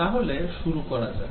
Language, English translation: Bengali, So, now let us get started